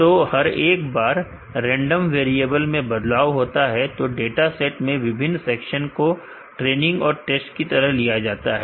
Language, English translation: Hindi, So, each time the random variable is change different section of the dataset will be taken as training and test and, corresponding value will change